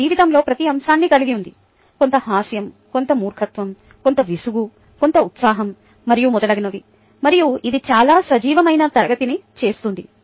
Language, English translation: Telugu, it has every single aspect of life in it: some humor, some () some boredom, ah, some excitement, and so on and so forth, and i think thats what makes a very lively class